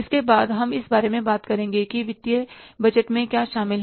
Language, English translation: Hindi, So, we will be talking in the next part that is about the financial budgets